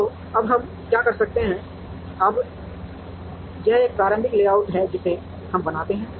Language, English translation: Hindi, So, now, what we can do is now this is an initial layout that we create